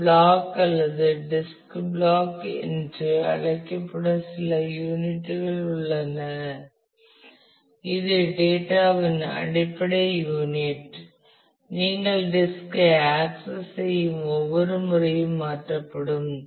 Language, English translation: Tamil, There is some unit called a block or disk block, which is a basic unit of data that will be transferred every time you access the disk